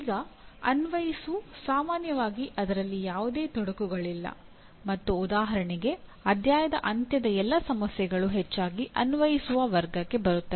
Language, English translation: Kannada, Now as far as apply is concerned, that is fairly commonly there is no complication in that and for example all the end of the chapter problems mostly will come under the category of apply